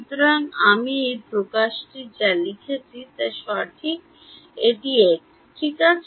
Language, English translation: Bengali, So, then this expression that I have written is incorrect right this is x ok